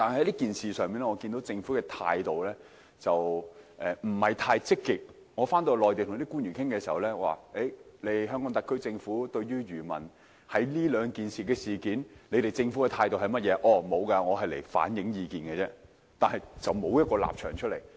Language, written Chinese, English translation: Cantonese, 因此，在與內地與官員討論期間，當他們問及香港特區政府就上述兩項政策對漁民的影響持有甚麼態度時，我只能表示我是來反映意見的，並無任何立場可言。, That was why when Mainland officials asked me during the discussion at the meeting how the HKSAR Government looked at the impacts of these two policies on our fishermen I could only tell them that I was there only to reflect the views of the industry and I did not have any particular stance to state